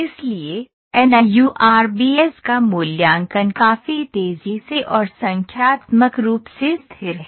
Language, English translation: Hindi, So, the evaluation of NURBS is reasonably faster and numerically stable